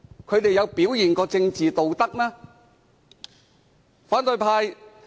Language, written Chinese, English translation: Cantonese, 他們曾表現出政治道德嗎？, Have they ever demonstrated political morality?